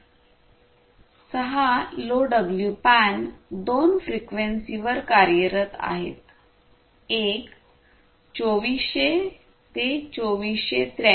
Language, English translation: Marathi, 6LoWPAN operates at two frequencies: one is the 240, sorry, 2400 to 2483